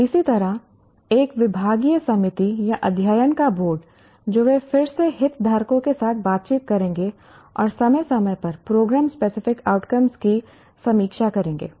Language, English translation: Hindi, Similarly, a departmental committee or a board of studies, they will again interact with the stakeholders and decides and periodically reviews the program specific outcomes